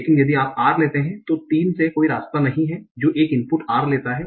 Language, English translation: Hindi, But if you take R, there is no path from 3 that takes an input R